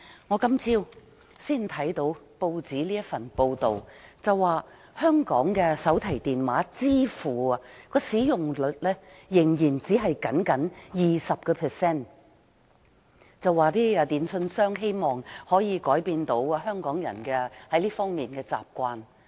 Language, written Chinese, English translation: Cantonese, 我今天早上看到報章報道，說香港的手提電話支付使用率仍然只有 20%， 電訊商希望可以改變香港人在這方面的習慣。, I learnt from a news report this morning that telecommunications service operators hope to change Hong Kong peoples habit as the rate of Hong Kong people using mobile payment is a mere 20 %